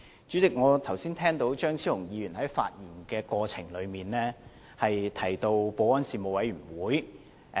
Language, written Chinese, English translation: Cantonese, 主席，我聽到張超雄議員剛才在發言中提到保安事務委員會。, President I heard Dr Fernando CHEUNG mentioned the Panel on Security in his speech just now